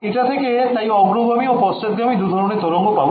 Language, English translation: Bengali, So, this is going to be give me a forward and a backward wave right